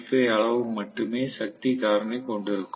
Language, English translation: Tamil, 85, which is actually the power factor